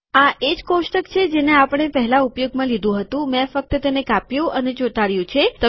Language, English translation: Gujarati, Its the same table that we used earlier, I just cut and pasted it